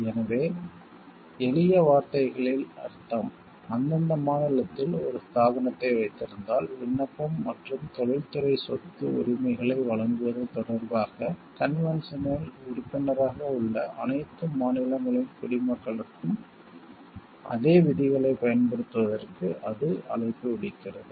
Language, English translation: Tamil, So, it means in simple words; like, it words it calls for application of the same rules to the nationals of all the states that are a member of the convention with respect to the application and granting of industrial property rights, provided they hold an establishment in that respective state